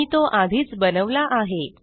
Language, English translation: Marathi, I have already created it